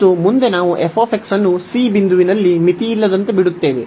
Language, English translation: Kannada, And further we let that f x is unbounded at a point c, where this c is a point between a and b